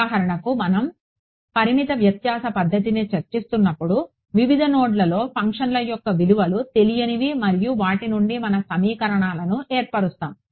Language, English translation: Telugu, For example, when we were discussing finite difference method is just the unknown are the values of the function at various nodes and we form our equations out of those right